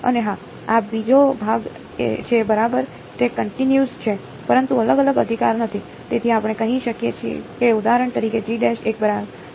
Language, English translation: Gujarati, And yeah this is the other part right it is continuous, but not differentiable right, so we can say that for example, G prime has a ok